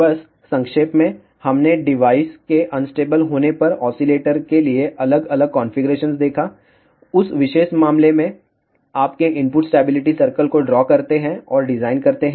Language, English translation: Hindi, Just to summarize we saw different configurations for oscillator when the devices un stable, in that particular case your draw the input stability circle and do the design